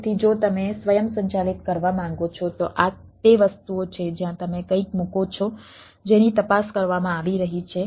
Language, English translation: Gujarati, so if you want to automate, then this are the things where you put something which is being checked